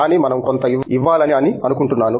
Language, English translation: Telugu, But, I think we need to give some